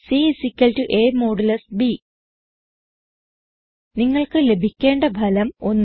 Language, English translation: Malayalam, c = a#160% b You should obtain the result as 1